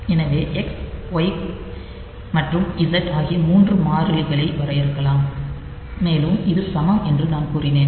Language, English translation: Tamil, So, we define 3 constants X Y and Z and as I said that this e q u are equal